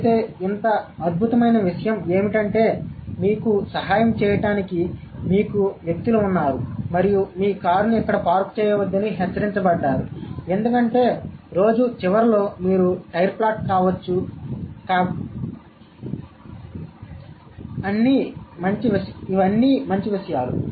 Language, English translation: Telugu, But such a wonderful thing that there are, you have people to help you out and you have been warned not to park your car here because you might get a flat tire at the end of the day